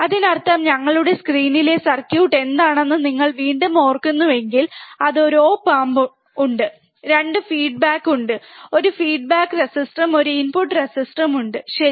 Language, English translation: Malayalam, That means that if you if you again remember what was the circuit on our screen, it was that there is a op amp, there is 2 feedback, there is one feedback resistor, and one input resistor ok